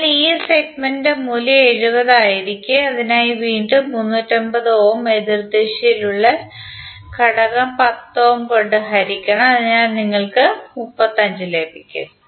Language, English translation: Malayalam, So this segment value would be 70 and for this again you have to simply divide 350 by opposite element that is 10 ohm, so you will get 35